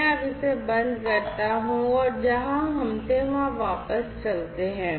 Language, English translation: Hindi, So, let me now close this and go back to where we were